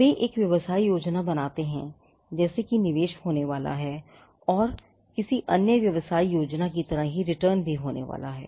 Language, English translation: Hindi, They make a business plan like there is going to be investments and there are going to be returns just like an in any other business plan